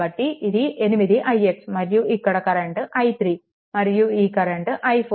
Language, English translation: Telugu, So, it is 8 i x and this current is i 3 and this current is i 4